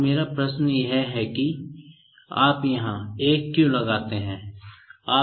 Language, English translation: Hindi, Now, my question is like why do you put 1 here